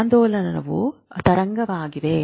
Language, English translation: Kannada, Oscillation is this wave